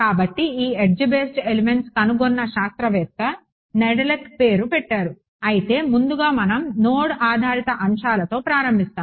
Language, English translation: Telugu, So, this edge based elements also are they are named after the scientist who discovered it Nedelec ok, but first we will start with node based elements